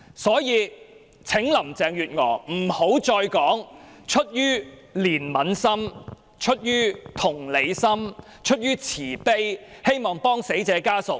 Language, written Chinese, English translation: Cantonese, 所以，請林鄭月娥不要再說出於憐憫心、出於同理心、出於慈悲，希望協助死者家屬。, Thus I would ask Carrie LAM not to say the exercise is conducted out of sympathy empathy or mercy in the hope to assist the family of the deceased again